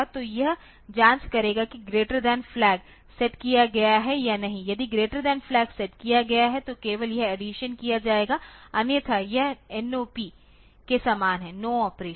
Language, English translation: Hindi, So, it will check whether the greater than flag is set or not so, if the greater than flag is set then only this addition will be done otherwise it is same as the NOP no operation